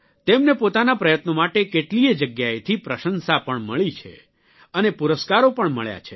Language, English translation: Gujarati, He has also received accolades at many places for his efforts, and has also received awards